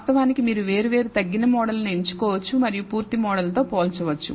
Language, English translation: Telugu, Of course, you can choose different reduced models and compare with the full model